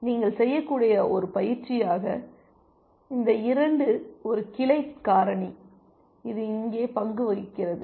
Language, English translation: Tamil, And as an exercise you can so, this 2 is a branching factor that is playing the role here